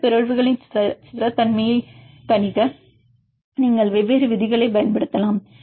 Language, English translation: Tamil, Then also you can use different rules for predicting the stability of this mutations